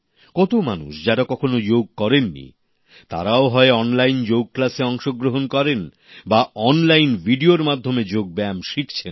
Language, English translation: Bengali, Many people, who have never practiced yoga, have either joined online yoga classes or are also learning yoga through online videos